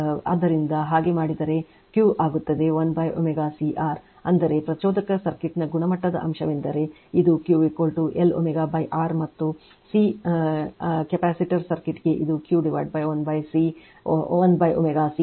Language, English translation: Kannada, So, if you do, so Q will become one upon omega C R right; that means, this for quality factor for inductive circuit is Q is equal to L omega by R and for capacitive circuit it is Q is equal to 1 upon omega C R right